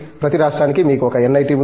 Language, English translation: Telugu, You have about 1 NIT for each state